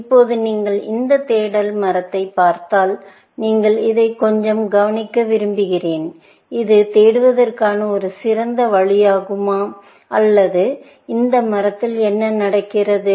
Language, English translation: Tamil, Now, if you look at this search tree, I want you to look at this, and make some observations; is it a good way of searching, or what is happening in this tree